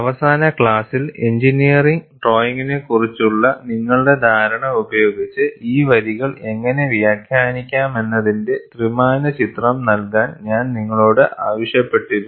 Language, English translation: Malayalam, In the last class, I had asked you to go to your understanding of engineering drawing, and try to give, a three dimensional picture of how these lines can be interpreted